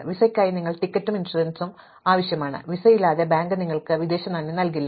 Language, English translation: Malayalam, For the visa, you need both the ticket and the insurance to be available and without a visa, the bank will not give you foreign exchange